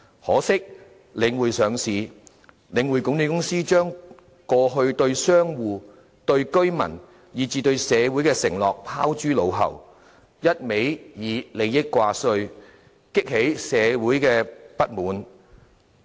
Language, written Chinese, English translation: Cantonese, 可惜，領匯上市後，領匯管理公司將過去對商戶、對居民，以至對社會的承諾拋諸腦後，一昧以利益掛帥，激起社會的不滿。, Sadly since its listing the Link Management Limited has shut its eyes to the promises it gave to shop operators residents and society; instead it has only been focusing on gains arousing public discontent